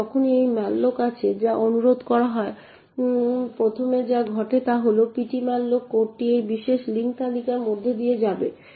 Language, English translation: Bengali, Now when malloc first gets executed in this particular statement over here it results in ptmalloc code that we have been talking about to get executed